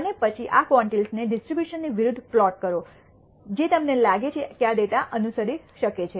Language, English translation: Gujarati, And then plot these quantiles against the distribution which you think this data might follow